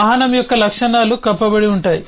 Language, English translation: Telugu, the properties of vehicle are encapsulated